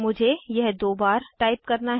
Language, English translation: Hindi, I have to type it twice